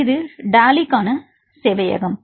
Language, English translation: Tamil, So, this is the server for the Dali